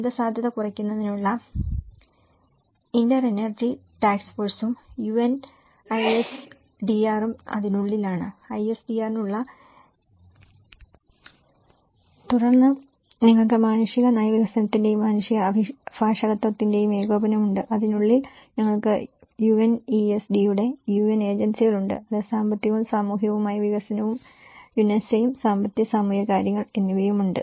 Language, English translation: Malayalam, And within which we have the interagency task force for disaster risk reduction and the UN ISDR, which has the interagency secretarial for the ISDR, so this 2 formulates the ISDR and then you have the coordination of humanitarian policy development and the humanitarian advocacy so, within which we have the UN agencies of UNESD, which is the economic and social development and UNESA; economic and social affairs